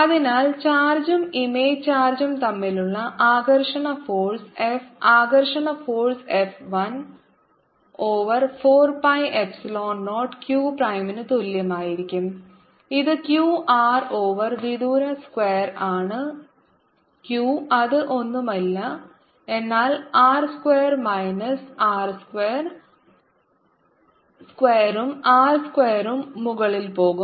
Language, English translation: Malayalam, and therefore the attractive force between the charge and the image charge attractive force f is going to be equal to one over four pi epsilon zero q prime, which is q r over r times q over the distance square, which is nothing but r square minus r square square, and r square will go on top